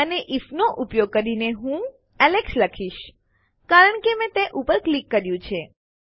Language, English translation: Gujarati, And using an if, Ill type in Alex, since I clicked that